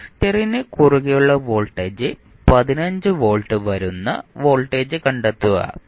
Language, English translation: Malayalam, Find out the voltage across capacitor that comes out to be 15 volts